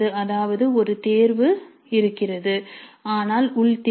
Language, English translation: Tamil, That means there is a choice but it is internal choice